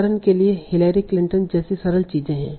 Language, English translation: Hindi, So for example, simple things like Hillary Clinton